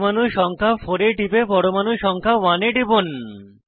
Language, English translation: Bengali, Click on the atom number 4, and then on atom number 1